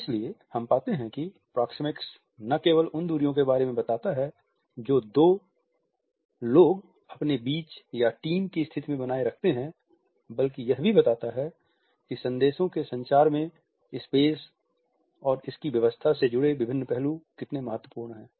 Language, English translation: Hindi, So, we find that proxemics does not only looks at the distances which people maintain between and amongst themselves in dyadic and team situations, but it also looks at how different aspects related with the space and its arrangements are significant in communication of certain messages